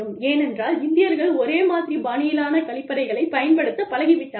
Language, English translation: Tamil, Because, that is the way, Indians are used to, using their toilets